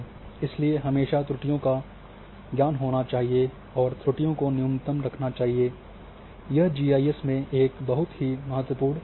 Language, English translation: Hindi, So, it is always to have knowledge of errors and keep errors at the minimum this is very, very important component in GIS